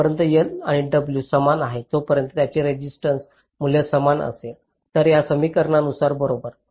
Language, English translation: Marathi, so as long as l and w are equal, its resistance value will be the same